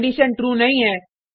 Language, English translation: Hindi, The condition is not true